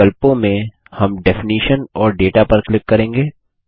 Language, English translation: Hindi, In the options, we will click on Definition and Data